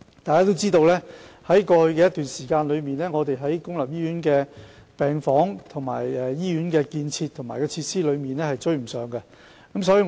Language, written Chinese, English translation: Cantonese, 大家也知道，在過去一段時間，公立醫院在病房、醫院建設及設施方面均無法追上需求。, We all know that over the period in the past medical wards in public hospitals as well as hospital buildings and facilities failed to cater for the demand